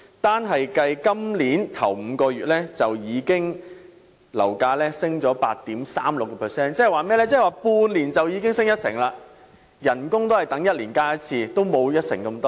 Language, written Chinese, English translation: Cantonese, 單計今年首5個月，樓價便已上升 8.36%， 即是說在半年間已經上升一成。, In the first five months of this year alone property prices have increased by 8.36 % meaning that it has risen by 10 % within six months